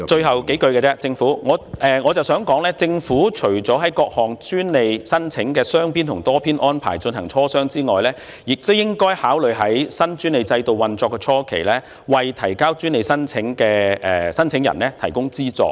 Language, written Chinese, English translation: Cantonese, 好的，我想說的最後數句是，政府除了就各項專利申請的雙邊及多邊安排進行磋商外，亦應該考慮在新專利制度運作初期，為專利申請人提供資助。, Alright finally what I want to say is that the Government should apart from negotiating bilateral and multilateral arrangement related to different patent applications consider providing subsidies to patent applicants during the initial period of the operation of the new patent system